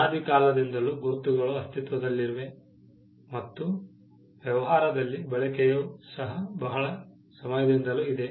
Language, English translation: Kannada, Marks have existed since time immemorial and the usage in business has also been there for a long time